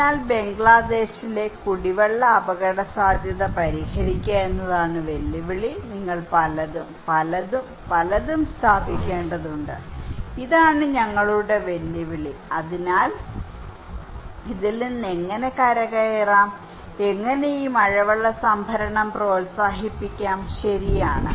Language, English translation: Malayalam, So, the challenge is therefore to solve the drinking water risk in Bangladesh, you need to install many, many, many, many so, this is our challenge so, how we can recover from this how, we can promote these rainwater harvesting, right so, this is our challenge given that how we can solve this problem